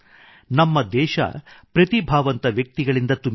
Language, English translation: Kannada, Our country is full of talented people